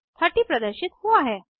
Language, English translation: Hindi, 30 is displayed